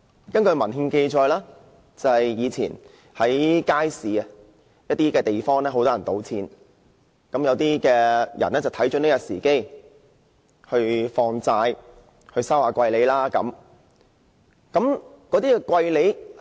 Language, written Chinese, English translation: Cantonese, 根據文獻記載，以前在街市某些地方，有很多人聚賭，於是有些人看準時機，在那裏放債，收取昂貴的利息。, According to empirical records in the past there were certain spots in the market where people would gather and gamble . So some people took the opportunity to offer loans there charging exorbitant rates of interest